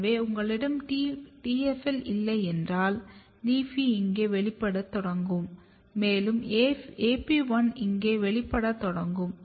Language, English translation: Tamil, So, if you do not have TFL here the LEAFY will start expressing here AP1 start expressing here